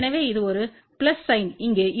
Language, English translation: Tamil, So, this is a plus sign here